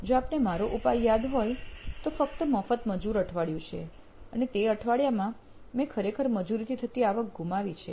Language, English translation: Gujarati, If you remember my solution, just to have free labour week and that week I actually lost revenue from labour